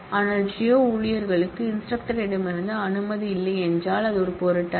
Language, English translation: Tamil, But, what if the geo staff does not have permission on instructor, does not matter that is the beauty of the whole thing